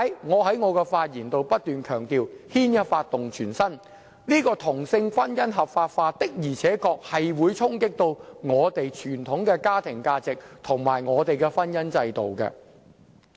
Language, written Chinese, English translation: Cantonese, 因此，我在發言中不斷強調，牽一髮而動全身，同性婚姻合法化的而且確會衝擊我們的傳統家庭價值和婚姻制度。, Hence I have stressed repeatedly in my speech that one move will bring about a knock - on effect . The legalization of same - sex marriage will really challenge our traditional values and the institution of marriage